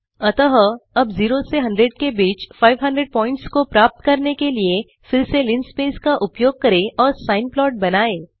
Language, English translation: Hindi, So now let us use linspace again to get 500 points between 0 and 100 and draw the sine plot again